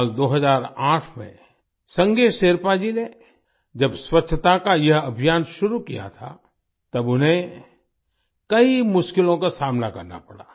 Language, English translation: Hindi, When Sange Sherpa ji started this campaign of cleanliness in the year 2008, he had to face many difficulties